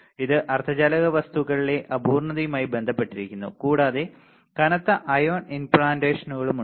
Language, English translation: Malayalam, It is related to imperfection in semiconductor material and have heavy ion implants